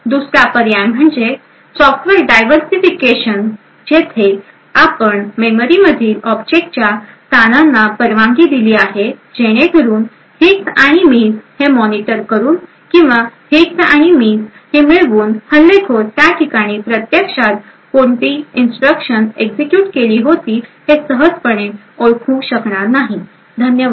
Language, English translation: Marathi, Another alternative is by software diversification where you permute the locations of objects in memory so that by monitoring the hits and misses or by obtaining the hits and misses, the attacker will not be easily able to identify what instruction was actually being executed at that location, thank you